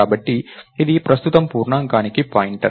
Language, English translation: Telugu, So, its a pointer to an integer right now